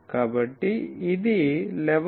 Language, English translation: Telugu, So, started 11